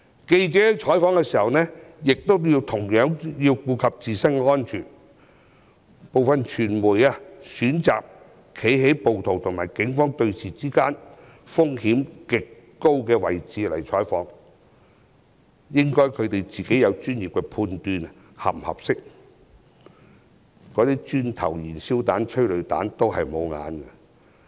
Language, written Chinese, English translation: Cantonese, 記者採訪時同樣應顧及自身安全，部分傳媒選擇在暴徒與警方對峙時在風險極高的位置採訪，他們應專業地判斷這是否適當，因為磚頭、燃燒彈、催淚彈都沒長眼睛。, By the same token reporters should consider their own safety when reporting . Some media workers chose to report the incident in highly risky positions when the rioters confronted the Police . They should professionally assess whether it was appropriate to do so since bricks petrol bombs or tear gas canisters might land in the wrong place